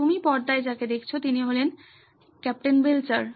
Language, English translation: Bengali, What you see on the screen is Captain Belcher